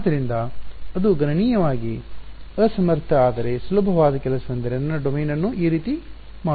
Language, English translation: Kannada, So, the computationally inefficient, but easier thing to do is to make my domain like this